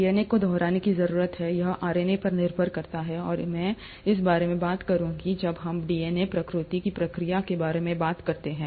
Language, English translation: Hindi, The DNA needs to replicate, it does depend on RNA, and I’ll talk about this, when we talk about the process of DNA replication